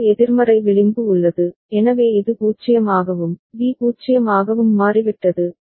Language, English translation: Tamil, And there is a negative edge, so for which it has also toggled for which it has become 0, B has become 0